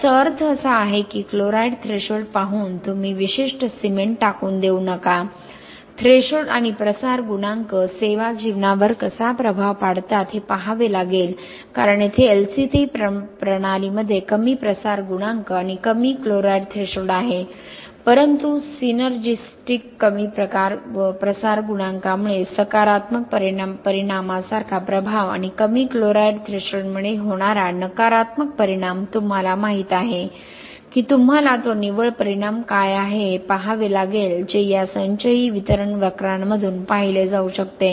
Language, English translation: Marathi, What it means is you should not discard a particular cement just by looking at the chloride threshold you have to look at how the threshold and the diffusion coefficient influence the service life because here LC3 system has much lower diffusion coefficient and low chloride threshold but the synergistic effect like the positive effect due to a lower diffusion coefficient and a negative effect due to a lower chloride threshold you know you had to see what is that net effect, so that can be seen through this cumulative distribution curves